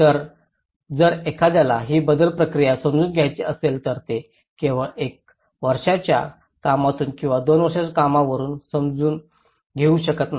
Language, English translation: Marathi, So, if one has to understand this change process, it is not just we can understand from one year work or two year work